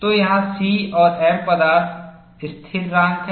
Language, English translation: Hindi, So, here C and m are material constants